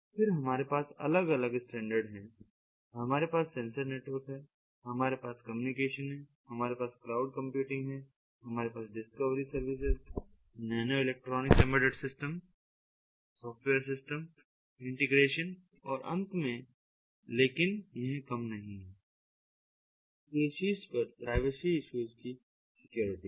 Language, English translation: Hindi, then we have the different standards, we have the sensor networks, we have the communication, we have cloud computing, we have discovery services, nanoelectronics, embedded systems, software system integration and, last but not the least, what is over here on top is the security on privacy issues